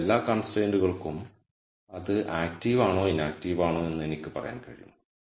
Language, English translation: Malayalam, So, for every constraint I can say whether it is active or inactive